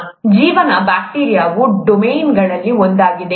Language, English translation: Kannada, Life, bacteria is one of the domains